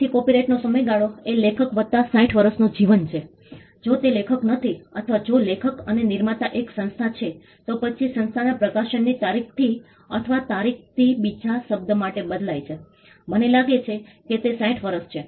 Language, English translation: Gujarati, So, the duration of a copyright is life of the author plus 60 years, if it is not an author if the author or the creator is an institution then the institution from the date of the publication or from the date is varies for another term I think it is 60 years